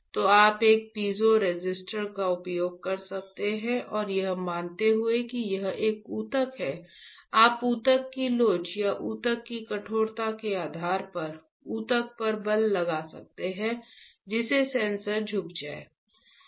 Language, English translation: Hindi, So, you can use a piezoresistor and assuming that this is a tissue you can apply a force the tissue depending on a elasticity of the tissue or stiffness of the tissue, that the sensor will bend